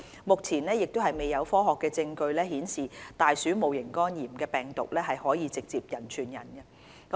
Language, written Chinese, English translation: Cantonese, 目前亦未有科學證據顯示大鼠戊型肝炎病毒可直接人傳人。, There is also no scientific evidence of direct human - to - human transmission of rat HEV at the moment